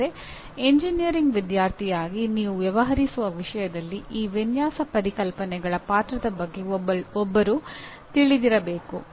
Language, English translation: Kannada, But as a student of engineering one should be aware of the role of these design concepts in the subject that you are dealing with